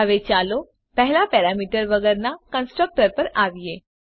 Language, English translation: Gujarati, Now let us first come to the constructor with no parameters